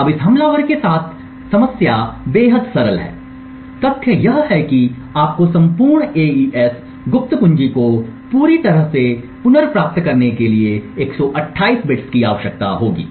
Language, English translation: Hindi, Now the problem with this attacker is extremely simple is the fact that you would require 128 bits to completely recover the entire AES secret key